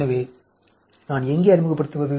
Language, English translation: Tamil, So, where do I introduce